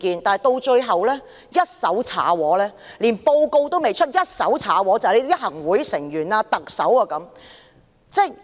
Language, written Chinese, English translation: Cantonese, 然而，最後連報告尚未發表，便被行政會議成員和特首一手搞垮。, However in the end it was messed up by members of the Executive Council and the Chief Executive before the report was released